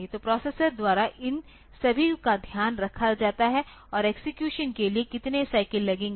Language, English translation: Hindi, So, all these are taken care of by the processor and how many cycles will it take for execution